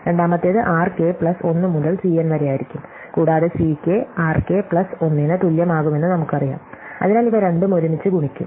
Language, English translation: Malayalam, Second one will be r k plus 1 to C n and we know that C k is going to be equal to r k plus 1, so that these two kindly multiplied together